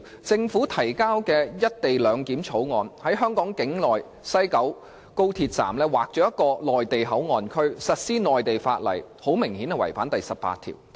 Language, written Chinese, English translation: Cantonese, 政府提交的《條例草案》，在香港境內的高鐵西九龍站劃出內地口岸區，實施內地法例，顯然違反了《基本法》第十八條。, In the Bill introduced by the Government a Mainland Port Area MPA is designated at the West Kowloon Station of the Express Rail Link XRL within the Hong Kong territory where Mainland laws will apply which obviously contravenes Article 18 of the Basic Law